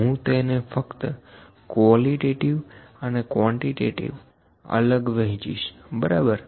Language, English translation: Gujarati, I will just differentiate it qualitative and quantitative, ok